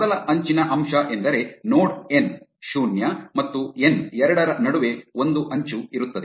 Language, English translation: Kannada, The first edge element signifies that there exists an edge between node n 0 and n 2